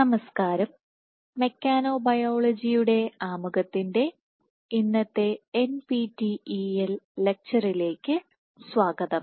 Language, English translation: Malayalam, Hello and welcome to today’s NPTEL lecture on introduction to mechanobiology